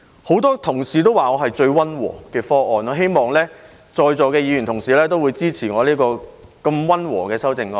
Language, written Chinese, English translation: Cantonese, 很多同事說我的方案最溫和，我希望在座的同事會支持我這項溫和的修正案。, As many colleagues said that my proposal is the most moderate I hope that those present at the meeting will support this moderate amendment of mine